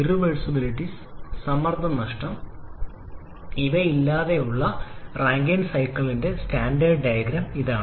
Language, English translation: Malayalam, This is the standard diagram for a Rankine cycle without any irreversibilities or pressure losses